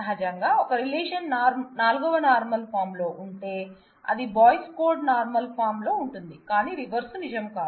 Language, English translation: Telugu, Naturally, if a relation is in 4th normal form, it is trivial that it will be in the Boyce Codd normal form, but the reverse will not be necessarily true